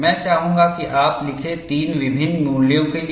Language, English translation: Hindi, It is enough if you write for 3 different values